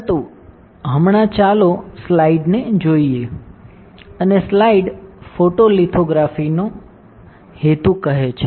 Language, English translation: Gujarati, But right now let us see the slide and the slide says that the purpose of photolithography